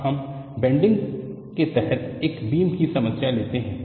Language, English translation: Hindi, Now, let us take the problem of a beam under bending